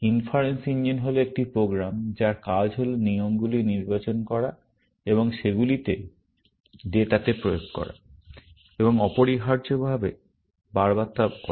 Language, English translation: Bengali, Inference engine is a program, whose job is to select rules, and apply them to data, and repeatedly do that, essentially